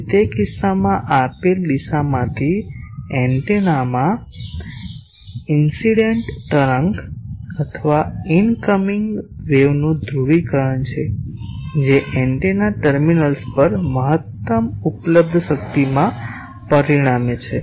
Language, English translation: Gujarati, So, in that case it is the polarisation of the incident wave or incoming wave to the antenna from a given direction which results in maximum available power at the antenna terminals